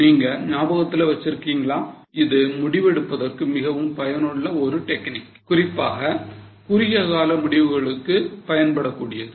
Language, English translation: Tamil, Now if you remember this is a very useful technique for decision making, particularly useful for short term decisions